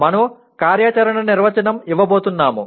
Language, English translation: Telugu, We are going to give an operational definition